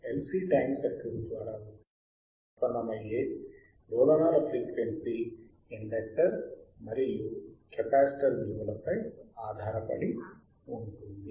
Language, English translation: Telugu, tThe frequency of oscillation generated by LC tank circuit is the frequency generator by LC will depend on what